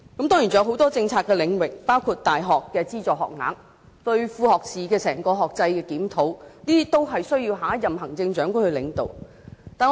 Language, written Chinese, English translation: Cantonese, 當然還有很多政策的領域，包括大學的資助學額和整個副學士學制的檢討，這些工作均需由下任行政長官來領導。, Certainly the next Chief Executive has to play a leading role in various policy areas as well including addressing the issue of subsidized university places and reviewing the overall academic structure of associate degree programmes